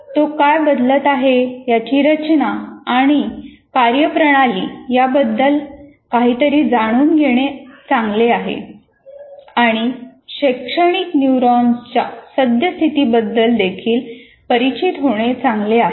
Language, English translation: Marathi, It is good to know something about the structure and functioning of what is changing and also be familiar with the current state of educational neuroscience